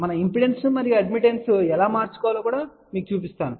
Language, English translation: Telugu, We will actually show you also how impedance and admittance can be interchanged